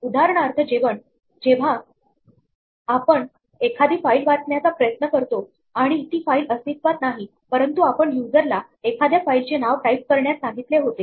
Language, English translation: Marathi, If for instance we are trying to read a file and the file does not exist perhaps we had asked the user to type a file name